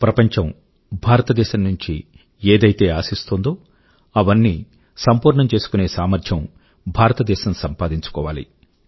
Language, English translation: Telugu, And may India surely achieve the capabilities to fulfil the expectations that the world has from India